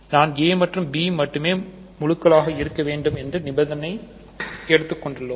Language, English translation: Tamil, Only we are restricting a and b to be integers